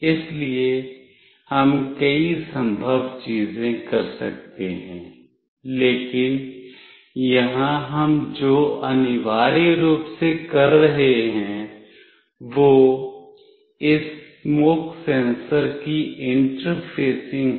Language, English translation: Hindi, So, we can do many possible things, but here what we are doing essentially is will be interfacing this smoke sensor